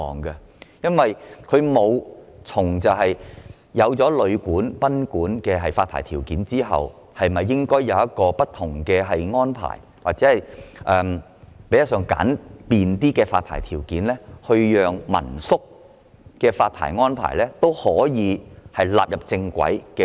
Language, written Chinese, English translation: Cantonese, 在制訂旅館及賓館的發牌條件後，政府沒有考慮應否就民宿的發牌問題訂定不同或相對簡便的安排或條件，從而將民宿的發牌問題正規化。, After formulating licensing conditions for guesthouses and boarding houses the Government has not given any thoughts to the question of whether it should draw up different or relatively simple arrangements or conditions for the licensing of hostels as a means to regularize the licensing of hostels